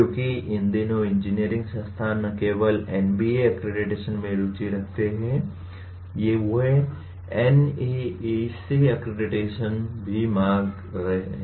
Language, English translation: Hindi, Because these days engineering institutions are not only interested in NBA accreditation, they are also seeking NAAC accreditation